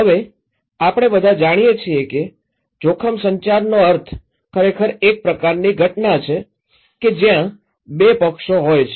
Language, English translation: Gujarati, Now, we all know that the meaning of risk communication is actually a kind of event, where there are two parties